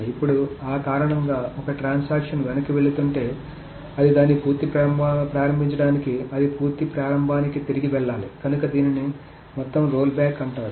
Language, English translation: Telugu, Now of course intuitively one may say that okay if a transaction is rolling back it must roll back to the complete beginning of it to the complete start of this so that is called a total rollback